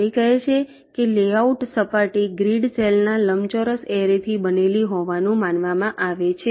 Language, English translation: Gujarati, it says that the layout surface is assumed to be made up of a rectangular array of grid cells